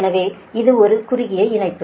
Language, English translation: Tamil, so this is a short line